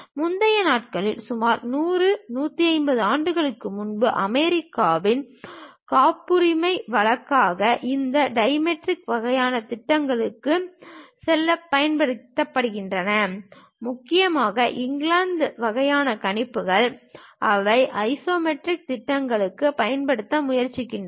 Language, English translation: Tamil, Earlier days like some 100, 150 years back, in US the patents usually used to go with this dimetric kind of projections; mainly UK kind of projections, they try to use for isometric projections